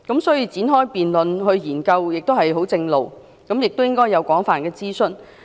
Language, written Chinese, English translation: Cantonese, 所以，展開辯論來研究十分正常，亦應該要進行廣泛諮詢。, For this reason it is normal to initiate a debate calling for studying the issue and the Government should also conduct an extensive consultation exercise